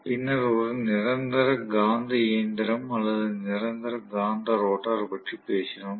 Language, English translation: Tamil, Then we also talked about one more which is actually a permanent magnet machine or permanent magnet rotor